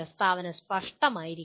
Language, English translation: Malayalam, The statement should be unambiguous